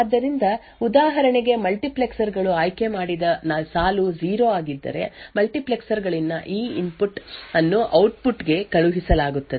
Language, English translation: Kannada, So, for example, if the multiplexers select line is 0 then this input at the multiplexers is sent to the output